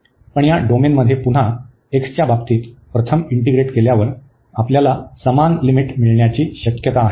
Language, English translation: Marathi, But, in this domain again it is a same similar limits we can get, when we integrate first with respect to x